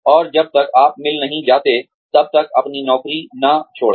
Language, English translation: Hindi, And, do not leave your job, till you have got, another one